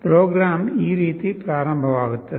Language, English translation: Kannada, The program will start like this